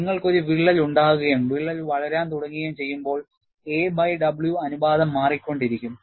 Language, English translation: Malayalam, And, when you have a crack and the crack starts growing, a by w ratio keeps changing